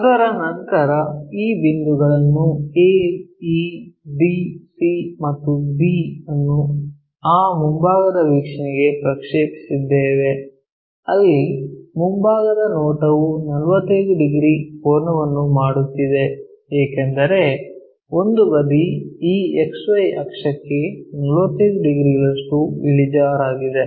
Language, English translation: Kannada, After that we projected these points a, e, d, c and b all the way into that front view, where the front view is making an angle of 45 degrees because one of the size is 45 degrees inclined to this XY axis